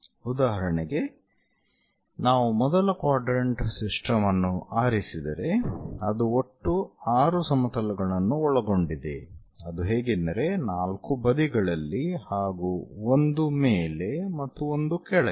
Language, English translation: Kannada, For example, if we are picking first quadrant system, it consists of in total 6 planes; 4 on the sides top and bottom thing